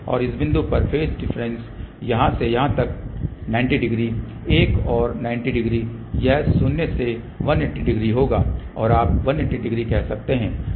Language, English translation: Hindi, So, phase difference at this point will be from here to here 90 degree, another 90 degree so this will be minus 180 degree or you can say 180 degree